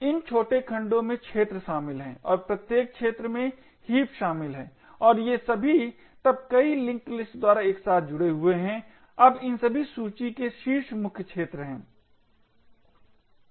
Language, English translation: Hindi, These smaller segments comprises, of arenas and each arena comprises of heaps and all of these are then linked together by multiple link list, now the head of all of these list is the main arena